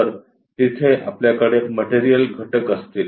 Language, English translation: Marathi, So, we will have material element there